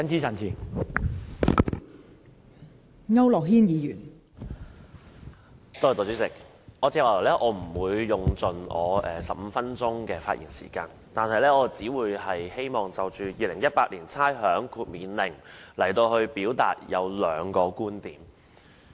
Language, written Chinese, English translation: Cantonese, 代理主席，我不會盡用15分鐘的發言時間，我只希望就《2018年差餉令》表達兩個觀點。, Deputy President I am not going to fully utilize my 15 minutes of speaking time . I only wish to express two viewpoints about the Rating Exemption Order 2018